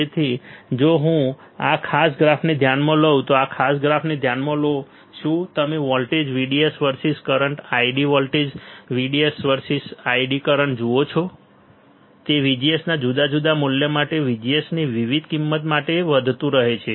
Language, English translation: Gujarati, So, if I if you consider this particular graph, consider this particular graph what you see voltage VDS versus current ID voltage, VDS versus current ID, what we see that it keeps on increasing for different value of VGS right for different value of VGS you can see different current